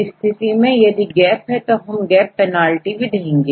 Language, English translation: Hindi, So, the difference is a gap because of the gaps we give the penalty